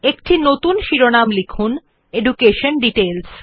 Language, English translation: Bengali, Lets type a new heading as EDUCATION DETAILS